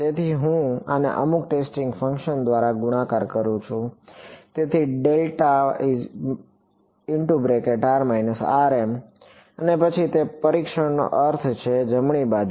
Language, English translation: Gujarati, So, when I multiply this by some testing function, so delta of r minus r m and then that is the meaning of testing; right the left hand side